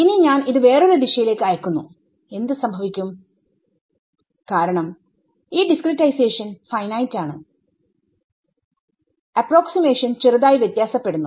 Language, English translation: Malayalam, Now, I send a pulse like this some other direction what will happen, because this discretization is finite the approximations are now slightly different right